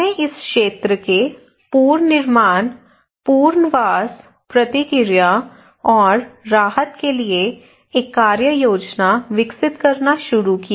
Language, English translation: Hindi, So considering their request We started to develop an action plan for reconstruction, and rehabilitation, response, and relief of this area